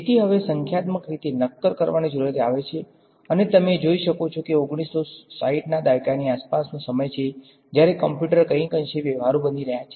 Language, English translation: Gujarati, So, therefore, the need to now solid numerically comes about and you can see 1960s is also around the time when computers are becoming somewhat practical